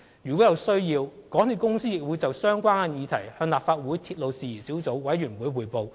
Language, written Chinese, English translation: Cantonese, 如果有需要，港鐵公司亦會就相關議題向立法會鐵路事宜小組委員會匯報。, If necessary MTRCL will also report relevant issues to the Legislative Council Subcommittee on Matters Relating to Railways